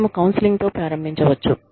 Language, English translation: Telugu, We could start with counselling